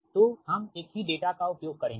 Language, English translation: Hindi, will use the same data